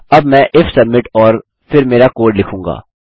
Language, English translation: Hindi, Now I will say if submit and then our code